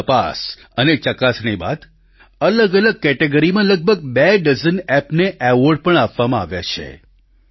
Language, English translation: Gujarati, After a lot of scrutiny, awards have been given to around two dozen Apps in different categories